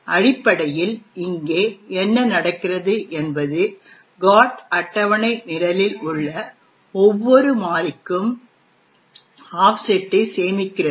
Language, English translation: Tamil, So, essentially what is happening here is the GOT table stores the offset for each and every variable present in the program